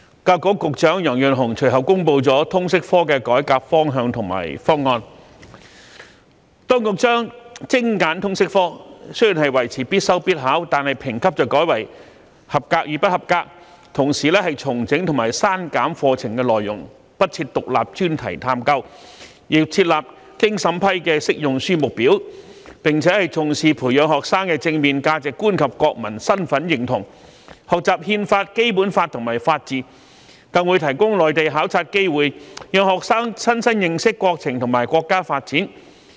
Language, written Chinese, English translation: Cantonese, 教育局局長楊潤雄隨後公布了通識教育科的改革方向和方案，就是當局將精簡通識科，雖仍維持必修必考，但評級改為"及格"與"不及格"，同時重整及刪減課程內容，不設"獨立專題探究"，又設立經審批的"適用書目表"，並且重視培養學生的正面價值觀及國民身份認同，學習《憲法》、《基本法》和法治，更會提供內地考察機會，讓學生親身認識國情和國家發展。, The authorities will streamline the LS subject; keep it a compulsory study and examination subject; mark assessments as attained or not attained; reorganize and reduce the curriculum content; remove the Independent Enquiry Study and review the Recommended Textbook List . Also importance will be attached to cultivating the positive values and sense of national identity of students as well as their learning about the Constitution the Basic Law and the rule of law . Furthermore Mainland study opportunities will be provided for students to gain first - hand understanding of our country and its development